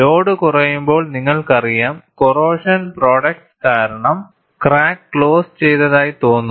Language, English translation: Malayalam, And when the load is reduced, you know, because of corrosion products, it appears as if the crack is closed